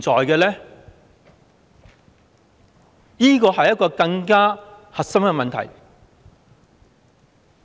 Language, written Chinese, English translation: Cantonese, 這是一個更加核心的問題。, This is the very core of the problem